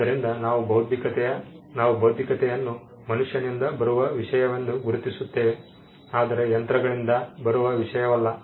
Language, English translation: Kannada, So, we distinguish intellectual as something that comes from human being, and not something that comes from machines